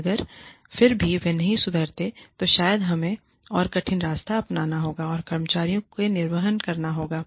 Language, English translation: Hindi, And, if even then, they do not improve, then maybe, we have to take the more difficult route, and discharge the employees